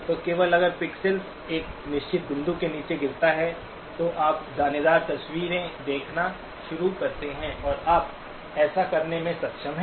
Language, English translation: Hindi, So only if the pixels drop below a certain point, then you start seeing grainy pictures and you are able to do that